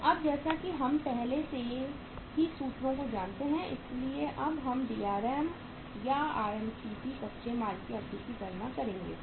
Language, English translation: Hindi, So now as we know the formulas already so now we will calculate the Drm or RMCP, duration of raw material right